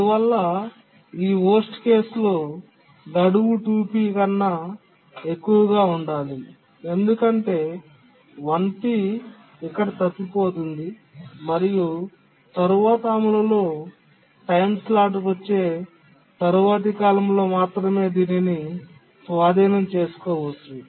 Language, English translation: Telugu, Therefore, in this worst case, the deadline must be greater than 2PS because 1 PS it just missed here, so only it can be taken over in the next period where it gets a time slot for execution